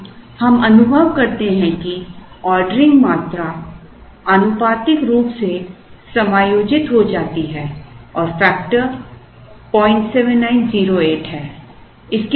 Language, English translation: Hindi, Now, we realize that the ordering quantities get proportionately adjusted and the factor is 0